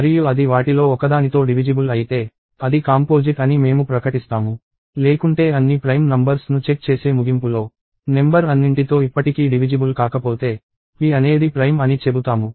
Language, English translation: Telugu, And if it is even divisible by one of them, we will declare that, that it is composite; otherwise at the end of checking all the prime numbers, if the number is still not divisible, then we will say that, p is prime